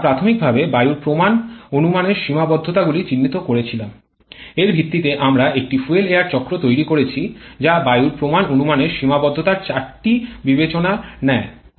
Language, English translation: Bengali, We initially identified the limitations of the air standard assumptions, based on that we developed a fuel air cycle which takes into consideration four of the limitations of air standard assumptions